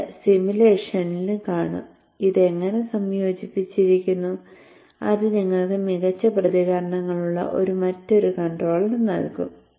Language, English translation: Malayalam, We shall just see this in simulation also, how it is incorporated and that would give you a kind of an alternate controller which has better responses